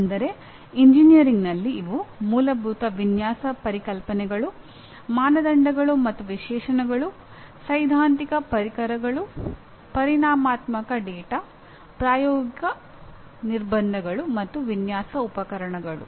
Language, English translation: Kannada, That means looking at engineering per se these are Fundamental Design Concepts; Criteria and Specifications; Theoretical Tools; Quantitative Data; Practical Constraints and Design Instrumentalities